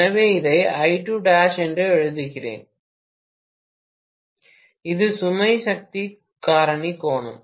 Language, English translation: Tamil, So, let me write this as I2 dash and this is the load power factor angle right